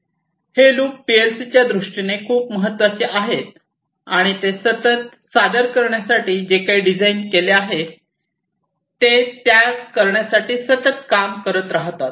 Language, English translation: Marathi, So, this loop is very important in PLC’s and they continuously, they keep on doing the stuff to continuously do whatever they are designed to perform